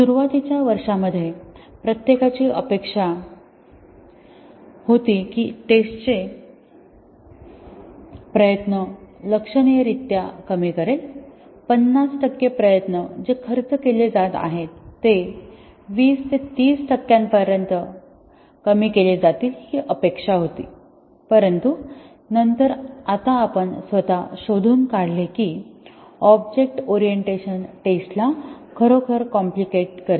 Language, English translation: Marathi, In the initial years everybody expected that it will substantially reduce the testing effort, the 50 percent effort that is being spent may be reduce to 20 30 percent that was the expectation, but then as we self find out now that object orientation actually complicates testing and may need more effort rather than reducing the effort